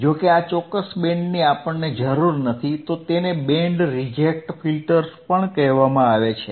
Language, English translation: Gujarati, thisIf this particular band we do not require, Reject; that means, it is also called Band Reject Filters all right got it